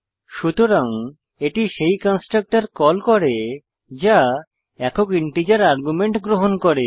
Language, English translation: Bengali, Hence it calls the constructor that accepts single integer argument